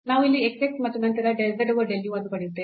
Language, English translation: Kannada, So, we get here the x x and then del z over del u